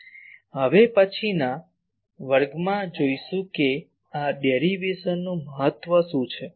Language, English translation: Gujarati, In the next class we will see what is the importance of these derivation